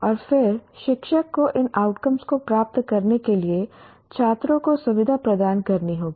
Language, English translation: Hindi, And then the teacher will have to facilitate the students to attain these outcomes